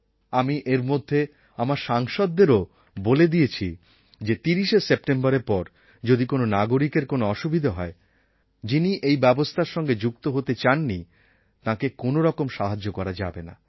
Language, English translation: Bengali, In between, I had even told the Members of the Parliament that after 30th September if any citizen is put through any difficulty, the one who does not want to follow due rules of government, then it will not be possible to help them